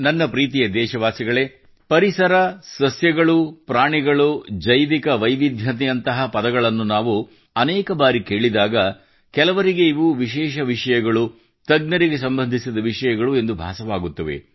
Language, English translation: Kannada, Many a time, when we hear words like Ecology, Flora, Fauna, Bio Diversity, some people think that these are specialized subjects; subjects related to experts